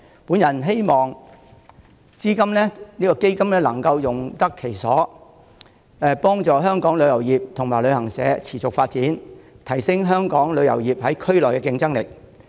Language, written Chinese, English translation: Cantonese, 我希望基金能夠用得其所，幫助香港旅遊業及旅行社持續發展，提升香港旅遊業在區內的競爭力。, I hope the Fund can be used prudently to help the sustainable development of the travel industry and travel agents in Hong Kong and enhance the competitiveness of Hong Kongs travel industry in the region